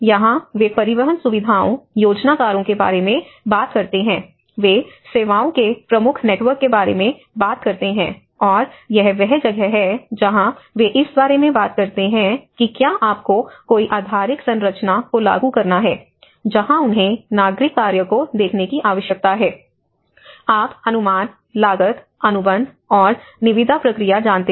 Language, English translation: Hindi, And here that is where they talk about the transport facilities, the planners, they talk about the key networks of the services, and this is where they talk about if you have to implement any infrastructural input that is where they need to look at the civil works, you know the estimations, costing, the contract and tendering process